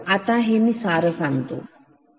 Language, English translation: Marathi, So, let me just summarize